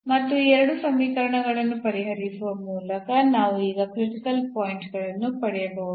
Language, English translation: Kannada, And the critical points we can now get by solving these 2 equations